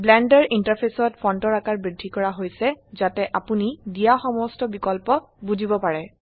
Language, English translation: Assamese, The font size in the Blender interface has been increased so that you can understand all the options given